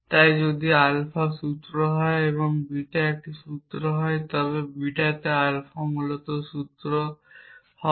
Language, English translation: Bengali, Or if alpha is given to you and beta is given to you then you can write alpha and beta